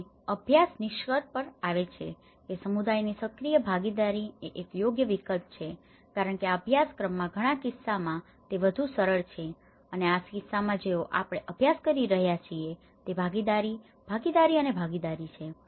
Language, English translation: Gujarati, And the study concludes that active participation from the community is a viable alternative because that is more flexible in many of the cases in this course what we are studying is a participation, participation and participation